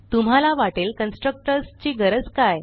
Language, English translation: Marathi, Now you might feel why do we need constructors